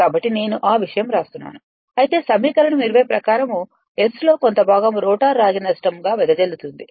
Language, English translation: Telugu, So, that that thing I am just writing in language right of that of while as per equation 20 a fraction of S of it is dissipated in the rotor copper loss right